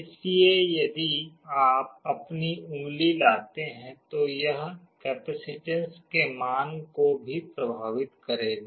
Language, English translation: Hindi, So, if you bring your finger that will also affect the value of the capacitance